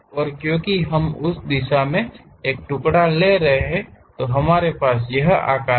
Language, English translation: Hindi, And, because we are taking a slice in that direction, we have that shape